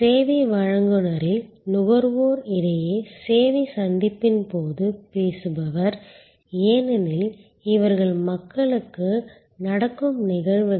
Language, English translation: Tamil, The talker during the service encounter between the consumer in the service provider, because these are people to people happenings